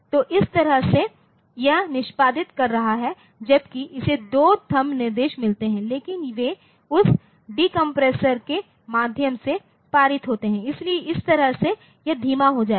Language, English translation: Hindi, So, that way it is executing whereas, it gets a two THUMB instructions, but they are they are to be passed through that decompressor, so, that way it will be slowing down